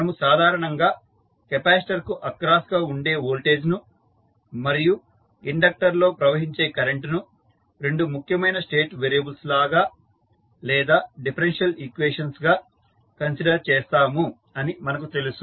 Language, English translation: Telugu, First we have to specify the nodes, so, as we know that generally we consider the voltage across capacitor and current flowing inductor as the two important state variable or the differential equations